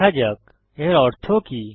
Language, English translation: Bengali, Let us see what this means